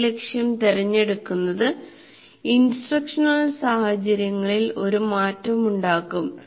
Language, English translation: Malayalam, So the choice of learning goal will make a difference to the instructional situation